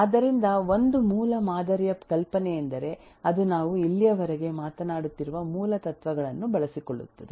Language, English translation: Kannada, So, the basic idea of a model is that it makes use of the basic principles that we have been talking of so far